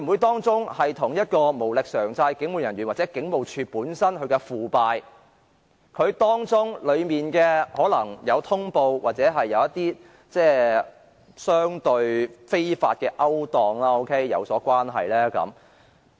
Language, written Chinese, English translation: Cantonese, 當中會否與無力償債的警務人員或警務處本身的腐敗，而當中更可能在通報上或與相對非法的勾當有關呢？, Is there something to do with the police officers with manageable debts or the depravity of HKPF and worse still issues in respect of notification or other comparatively illicit practices?